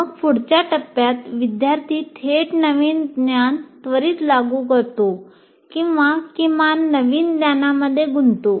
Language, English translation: Marathi, And then what you do in the next stage, the student directly applies the new knowledge immediately or at least gets engaged with the new knowledge